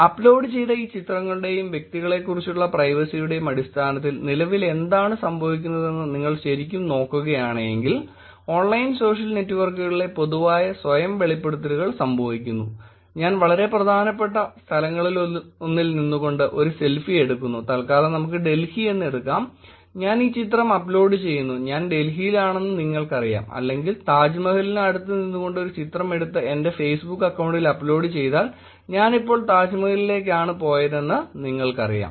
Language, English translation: Malayalam, If you really look at what is going on currently in terms of these pictures that were uploaded and the privacy about individuals, increasing public self disclosures through online social networks happen, which is I take a pictures, I take a selfie standing near one of the very important spots let us take in Delhi I upload this picture you know that I am in Delhi, or let us take a picture next to Taj Mahal and upload it on my Facebook account you know that I am actually traveling to Taj Mahal now